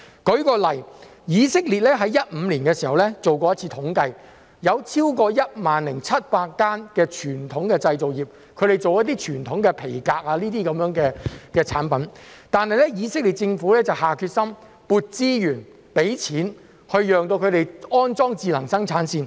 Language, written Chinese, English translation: Cantonese, 舉例來說，以色列在2015年時曾做一次統計，有超過 10,700 間傳統製造業，是製作傳統皮革產品的，但以色列政府下決心撥資源、資金，供他們安裝智能生產線。, For example in 2015 Israel conducted a survey and found that there were more than 10 700 enterprises engaging in the traditional manufacturing industry of making traditional leather products and the Israeli Government committed resources and funds to assist them in installing smart production lines